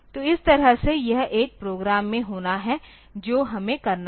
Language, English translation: Hindi, So, that way it has to be in a program we have to do that